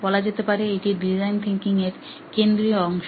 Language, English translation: Bengali, This pretty much is the central piece of design thinking